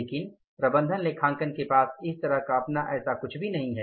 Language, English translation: Hindi, But management accounting as such doesn't have anything of its own